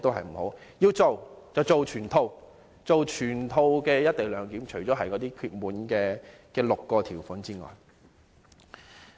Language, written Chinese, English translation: Cantonese, 如果要做，便做全套，落實全套"一地兩檢"，除了那6項事項外。, In doing the work we should make full efforts and implement the full co - location arrangement except for those six matters